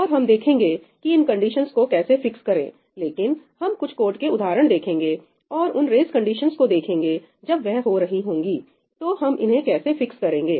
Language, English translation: Hindi, And we will see how to fix this condition, but we will walk through some example codes and see these race conditions as they happen